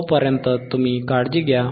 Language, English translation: Marathi, tTill then you take care